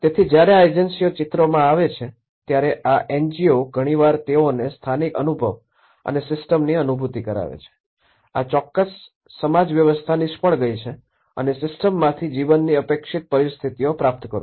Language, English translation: Gujarati, So, the moment when these NGOs when these agencies come into the picture, many at times what they do is they perceive the local knowledge, they perceive that this system, this particular social system has failed to receive the expected conditions of life from the system